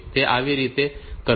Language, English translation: Gujarati, So, how to do this